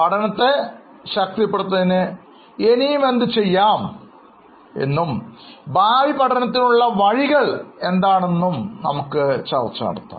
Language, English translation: Malayalam, We would also think of what can be done further for strengthening the learning and also what are the avenues for future learning